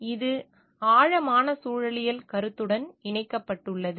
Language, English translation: Tamil, So, this is getting connected to the concept of deep ecology